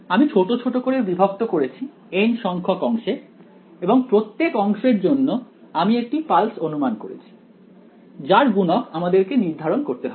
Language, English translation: Bengali, I have chopped up; I have chopped up this into n segments for each segment I have assumed 1 pulse with a coefficient that is going to be determined ok